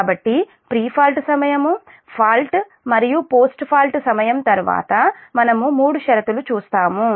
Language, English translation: Telugu, so during pre fault, during fault and post fault later we will see the three condition